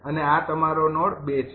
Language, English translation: Gujarati, this is node two